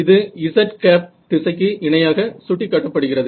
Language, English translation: Tamil, It will be symmetric about the z axis